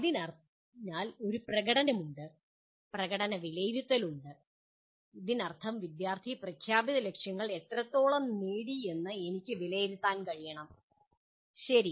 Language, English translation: Malayalam, So there is a performance of the, there are performance assessment, that means I should be able to assess to what extent the student has attained the stated objectives, okay